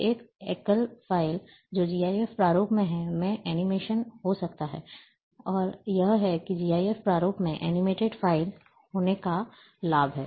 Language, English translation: Hindi, So,one single file, which is in GIF format, can have animations, and that is the advantages of having animated files in GIF format